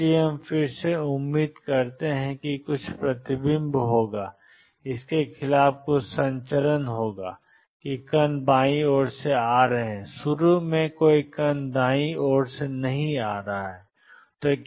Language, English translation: Hindi, So, again we expect that there will be some reflection and some transmission against is the particles are coming from the left initially there no particles coming from the right